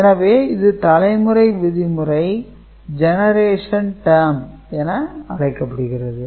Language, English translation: Tamil, So, that why it is called generation term